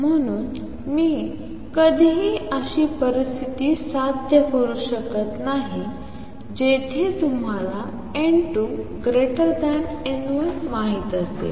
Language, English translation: Marathi, So, I can never achieve a situation where you know n 2 greater than n 1